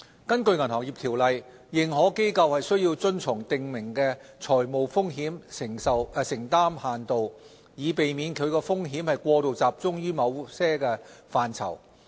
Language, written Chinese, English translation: Cantonese, 根據《銀行業條例》，認可機構須遵從訂明的財務風險承擔限度，以避免其風險過度集中於某些範疇。, Under the Ordinance AIs are subjected to the prescribed limitations on the financial exposures that they may incur which seek to prevent their exposures from becoming overly concentrated in certain aspects